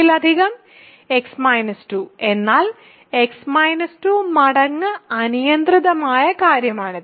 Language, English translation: Malayalam, Multiple of x minus 2 means x minus 2 times an arbitrary thing